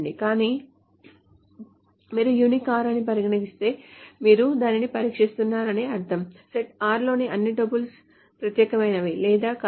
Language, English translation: Telugu, So if you say unique R, that means you are testing if all the tuples in the set are is unique or not, which is it can be written down in the following manner